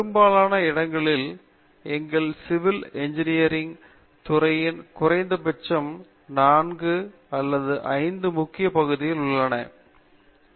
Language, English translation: Tamil, Well, at least in our department in most of the places we would have say 4 or 5 major areas of civil engineering